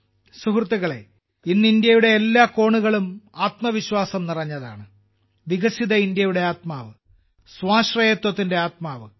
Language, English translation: Malayalam, Friends, today every corner of India is brimming with selfconfidence, imbued with the spirit of a developed India; the spirit of selfreliance